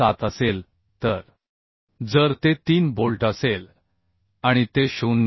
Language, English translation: Marathi, 7 if it is 3 bolts and it is 0